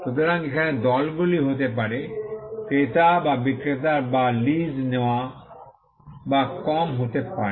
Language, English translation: Bengali, So, the parties here could be, the buyer or the seller or the lessee or lesser